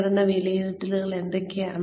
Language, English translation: Malayalam, We have performance appraisals